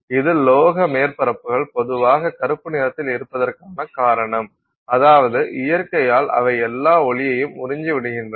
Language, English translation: Tamil, This is the reason why metallic surfaces are typically you know blackish in color I mean or of that nature they absorb all